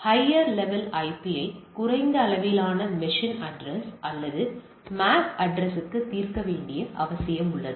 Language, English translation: Tamil, So, there is a need to resolve the higher level IP to a low level machine address or MAC address so that you know that the next of the next of things